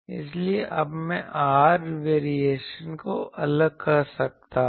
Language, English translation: Hindi, So, in I can separate there r variation